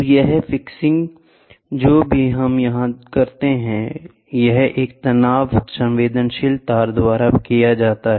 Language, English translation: Hindi, So, this fixing whatever we do here, this is done by a strain sensitive wire